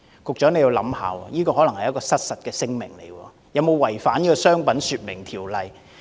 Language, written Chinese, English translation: Cantonese, 局長，你要想想，這可能是失實聲明，不知有否違反《商品說明條例》。, Secretary come to think about this . The advertiser was probably making false claims which might constitute a contravention of the Trade Descriptions Ordinance